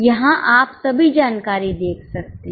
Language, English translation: Hindi, Here you can see all the information